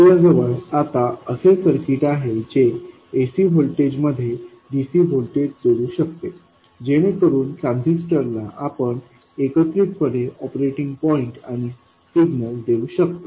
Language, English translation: Marathi, We have now come up with a circuit which can add DC voltage to an AC voltage so that to the transistor we can provide the combination of the operating point and the signal